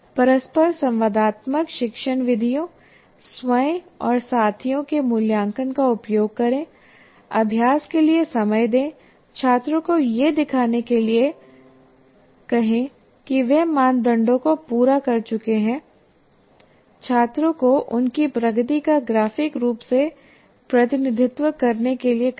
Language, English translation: Hindi, Use interactive teaching methods, self and peer assessment, give time for practice, get students to show where they have met the criteria, get students to represent their progress graphically